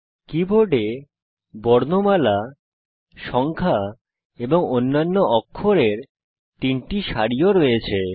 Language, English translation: Bengali, The keyboard also has three rows of alphabets, numerals and other characters